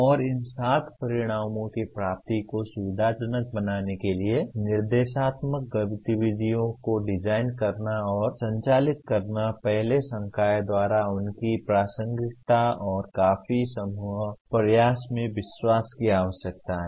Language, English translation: Hindi, And designing and conducting instructional activities to facilitate attainment of these seven outcomes first requires belief in their relevance and considerable group effort by faculty